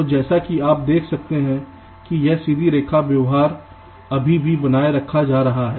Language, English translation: Hindi, so, as you can see, this straight line behavior is still being maintained, right